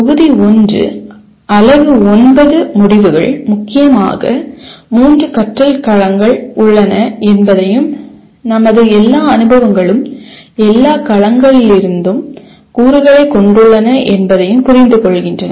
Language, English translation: Tamil, The Module 1 Unit 9 the outcomes are understand that there are mainly three domains of learning and all our experiences have elements from all domains